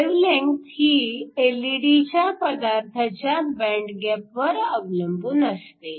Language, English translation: Marathi, The wavelength is going to depend upon the band gap of the LED material